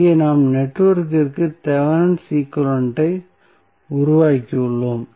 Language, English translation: Tamil, So, here we have created Thevenin equivalent of the network